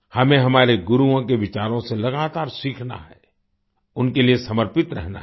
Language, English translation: Hindi, We have to continuously learn from the teachings of our Gurus and remain devoted to them